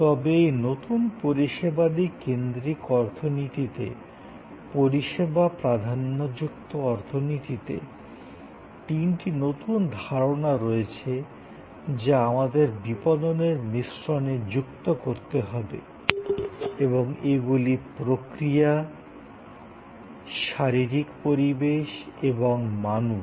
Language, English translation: Bengali, But, in this new service focused economy, service dominated economy, there are three new concepts that we have to add to the marketing mix and these are process, physical environment and people